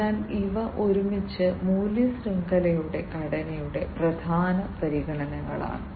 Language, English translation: Malayalam, So, these together are important considerations of the value chain structure